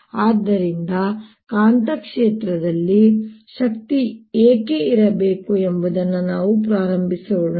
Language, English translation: Kannada, why should there be energy in magnetic field